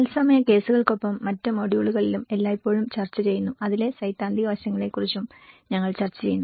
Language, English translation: Malayalam, And always discussed in other modules as well along with the live cases, we are also discussing about the theoretical aspects into it